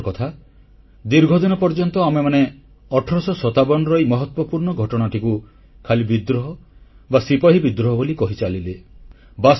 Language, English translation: Odia, It is indeed sad that we kept on calling the events of 1857 only as a rebellion or a soldiers' mutiny for a very long time